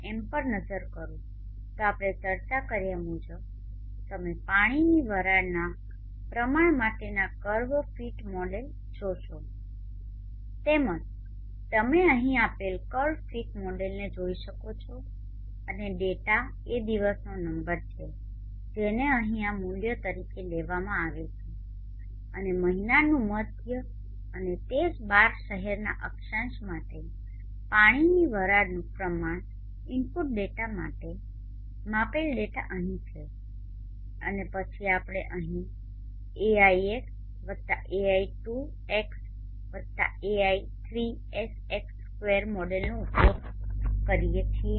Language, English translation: Gujarati, If I look into the WV underscore India dot M you will see the perfect model for theater vapor content just like as we discussed you can see the carpet model given here and the data is the day number which is taken as these values here and the middle of the month and for these latitudes for the same 12 cities and the water vapor content input data measure data is here and then here were using the model AI 1 plus AI 2 X to the I 3 X square so it is a three term second order polynomial we do the matrix inverses generate the matrix and then find out G